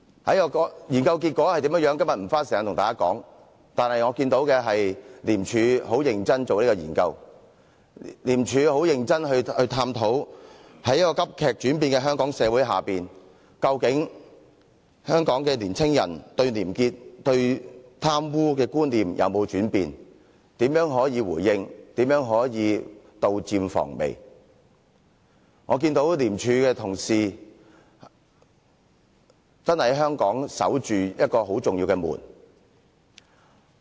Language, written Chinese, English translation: Cantonese, 我今天不會花時間跟大家說該研究的結果，但我看到的是廉署認真地做這項研究，廉署非常認真地探討在急劇轉變的香港社會內，究竟香港的青年對廉潔和貪污的觀念有沒有轉變、如何作回應、如何可以杜漸防微；我看到廉署的同事真的為香港守着很重要的門。, But my experience gained from that research is that the ICAC officers are very conscientious about their work . They carefully looked into any changes in attitude that Hong Kong young people might have in this rapidly changing society towards integrity and corruption and how to respond to and prevent such negative changes if any . I saw how hard the ICAC officers have worked to safeguard this important gate of Hong Kong